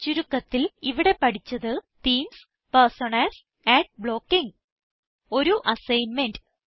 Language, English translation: Malayalam, In this tutorial, we learnt about: Themes, Personas, Ad blocking Try this assignment